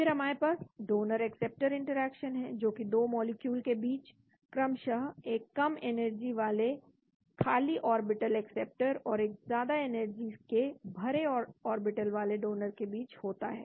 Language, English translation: Hindi, Then we have donor acceptor interaction occurs between 2 molecules with respectively a low energy empty orbital acceptor and a high energy filled orbital that is donor